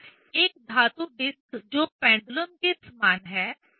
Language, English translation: Hindi, So, a metal disc that is equivalent to pendulum